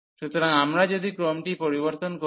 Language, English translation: Bengali, So, if we change the order